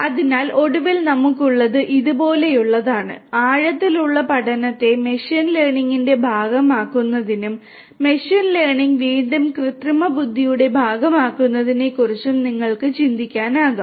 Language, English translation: Malayalam, So, finally, what we have is something like this, you can think of deep learning to be part of machine learning and machine learning again part of artificial intelligence